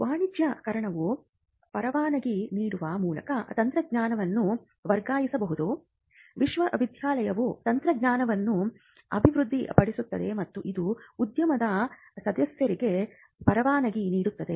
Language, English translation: Kannada, So, commercialization as we just mentioned could happen by transfer of technology by licensing, the university develops a technology and it licenses said to members in the industry